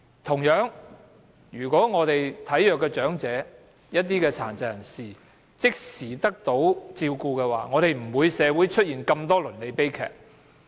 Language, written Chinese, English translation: Cantonese, 同樣地，體弱的長者和殘疾人士即時獲得照顧，社會便不會出現那麼多倫理悲劇。, This is likewise important to infirm elders and persons with disabilities because if they can receive immediate care services there will not be so many family tragedies in society